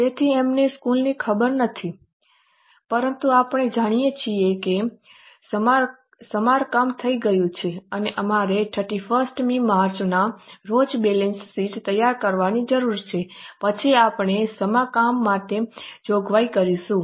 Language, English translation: Gujarati, So, we don't know the charges but we know that repairs has been done and we are required to prepare a balance sheet on say 31st of March